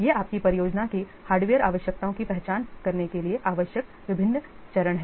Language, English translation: Hindi, These are the different steps required to identify the hardware requirements of your project